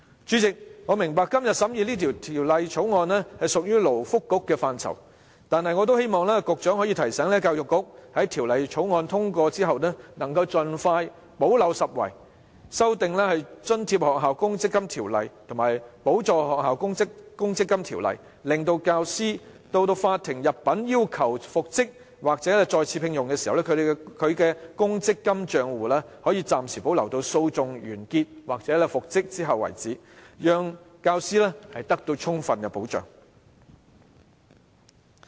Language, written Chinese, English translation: Cantonese, 主席，我明白今天審議的《條例草案》屬於勞工及福利局的範疇，但也希望局長可以提醒教育局，在《條例草案》通過後盡快補漏拾遺，修訂《津貼學校公積金規則》及《補助學校公積金規則》，令教師到法庭入稟要求復職或再次聘用時，他的公積金帳戶可獲暫時保留至訴訟完結或復職後為止，讓教師得到充分保障。, President I understand that the Bill under scrutiny today is under the scope of the Labour and Welfare Bureau yet I still hope the Secretary may remind the Education Bureau to plug the gap by amending the Grant Schools Provident Fund Rules and the Subsidized Schools Provident Funds Rules as soon as possible upon passage of the Bill such that when teachers apply to the court for reinstatement or re - engagement they may have their provident fund accounts retained temporarily until the close of the proceedings or the employees reinstatement thereby protecting teachers adequately